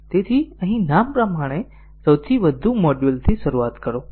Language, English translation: Gujarati, So here as the name implies start with the top most module